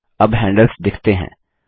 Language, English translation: Hindi, Now the handles are visible